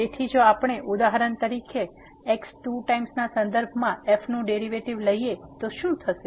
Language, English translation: Gujarati, So, what will happen if we take for example, the derivative of with respect to two times